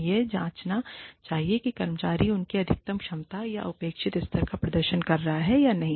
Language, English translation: Hindi, They should check, whether the employee is performing, to his or her maximum capacity, or expected level, or not